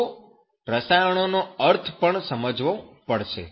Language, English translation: Gujarati, You also have to understand the meaning of that chemical